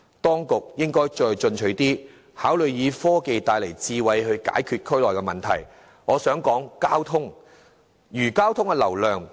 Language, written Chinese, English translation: Cantonese, 當局應該再進取一點，考慮以科技帶來的智慧解決區內問題，例如減少交通流量。, The authorities can be a bit more aggressive that they can consider utilizing smart applications induced by technologies to solve problems in the district such as reducing traffic flows